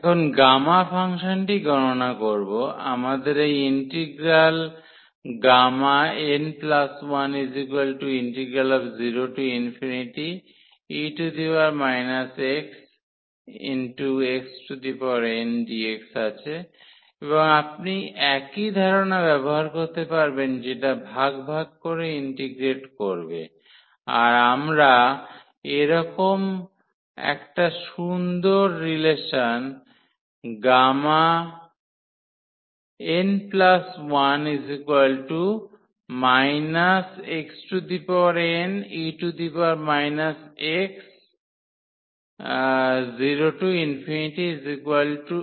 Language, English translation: Bengali, Now, evaluation of the gamma function: so, can we have this integral 0 to infinity power minus x x power n dx and you will use the same idea that just integrating by parts we will get at nice relation of this gamma n plus 1